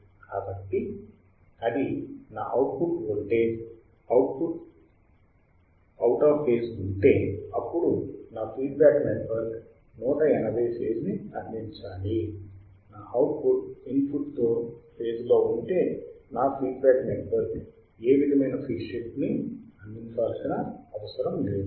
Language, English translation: Telugu, So, if it my output voltage is out of phase, and my feedback network should provide a 180 phase shift; if my output is in phase with the input my feedback network does not require to provide any phase shift